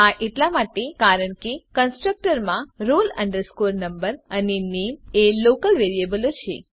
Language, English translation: Gujarati, This is because in the constructor roll number and name are local variables